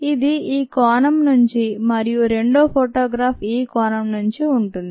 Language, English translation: Telugu, this is from this angle and the second photograph is from this angle